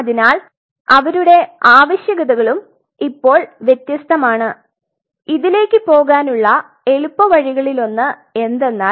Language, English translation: Malayalam, So, their requirements are also different now one of the easiest ways to go for it is